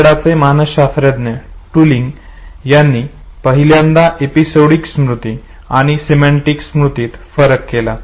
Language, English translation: Marathi, Canadian psychologist, Tulving was the first to make the distinction between episodic memory and semantic memory